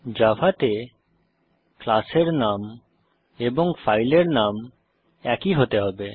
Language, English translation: Bengali, In Java, the name of the class and the file name should be same